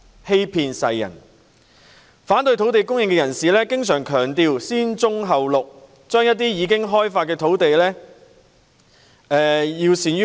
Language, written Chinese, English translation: Cantonese, 這些反對者經常強調"先棕後綠"，要善用一些已開發的土地。, Such opponents often stress brownfiled sites first green belt sites later to make good use of some developed land sites